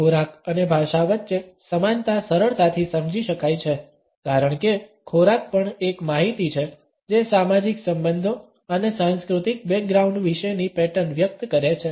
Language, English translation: Gujarati, The commonality between food and language can be understood easily because food is also a code which expresses patterns about social relationships and cultural backgrounds